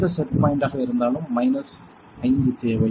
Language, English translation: Tamil, Whichever set point we require a minus 5